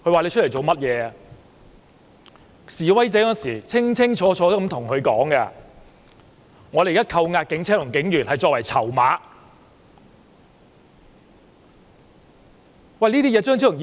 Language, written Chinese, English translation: Cantonese, 當時示威者清清楚楚對他說，他們扣押警車和警員作為籌碼。, At that time the protesters told him explicitly that they detained the police vehicle and the police officers as bargaining chips